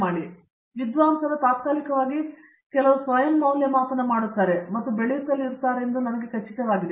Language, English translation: Kannada, So, I am sure the scholar themselves will do some self assessment more periodically and keep growing